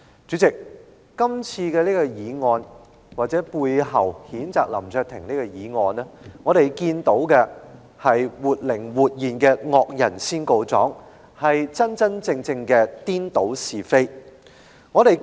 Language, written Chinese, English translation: Cantonese, 主席，我們看到，譴責林卓廷議員的議案所反映出的是活靈活現的"惡人先告狀"，真真正正的顛倒是非。, President as we can see the motion to censure Mr LAM Cheuk - ting reflects a vivid attempt of the villain to sue the victim and also a defiance of the facts in the true sense of the expression